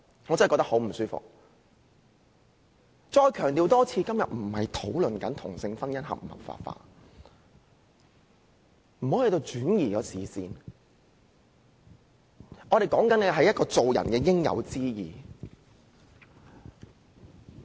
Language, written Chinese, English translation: Cantonese, 我再一次強調，今天不是討論同性婚姻應否合法化，不要轉移視線，我們所說的是做人應有之義。, I stress once again that we are not discussing whether or not same - sex marriage should be legalized . Do not shift the focus . We are talking about the righteous duty of men to uphold justice